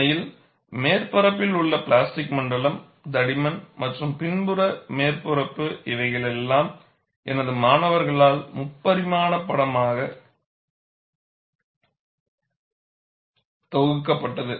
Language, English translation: Tamil, In fact, the plastic zone on the surface, over the thickness and the rear surface were bundled as a three dimensional picture by my students and they have nicely provided this animation